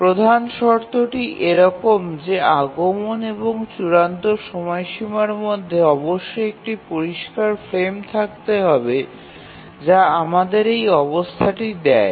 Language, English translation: Bengali, The condition that there must be a clear frame between the arrival and the deadline gives us this condition